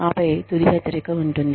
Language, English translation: Telugu, And then, there is a final warning